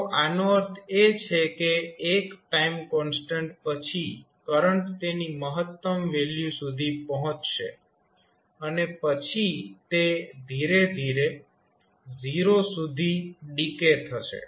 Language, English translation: Gujarati, So, that means after 1 time constant the current will reach to its peak value and then it will slowly decay to 0